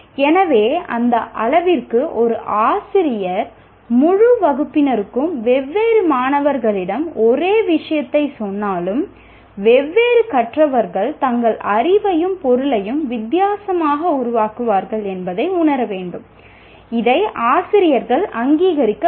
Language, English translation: Tamil, So to that extent a teacher should realize, though he is saying the same thing to the entire class, different students, different learners will generate their knowledge and meaning differently